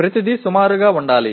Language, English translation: Telugu, Everything will have to be approximate